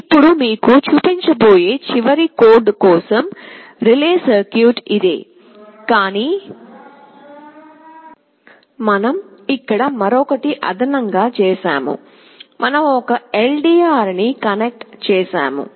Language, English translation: Telugu, Now, for the last code that we shall be showing you, this is the same relay circuit, but we have made one more addition here, we have connected a LDR